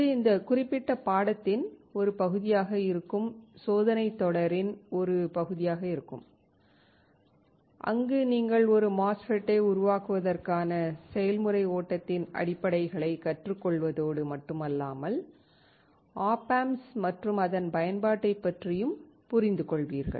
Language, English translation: Tamil, That will be part of the experiment series which is part of this particular course, where you not only you will learn the basics of the process flow for fabricating a MOSFET, but also understand op amps and its application